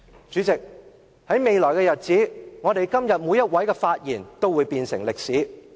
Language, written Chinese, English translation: Cantonese, 主席，我們今天每位的發言將來也會變成歷史。, President all the speeches we make today will be part of history